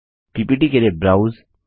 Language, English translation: Hindi, Browse for the ppt